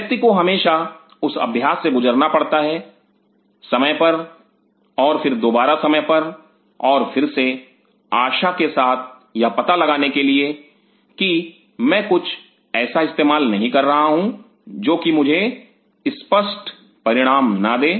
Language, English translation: Hindi, One has to always go through that exercise time and again time and again to figure out, that hope I am not using something which is which will give me ambiguous results